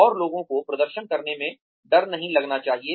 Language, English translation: Hindi, And, people should not feel scared to perform